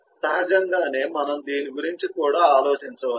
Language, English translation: Telugu, naturally, we can also think about this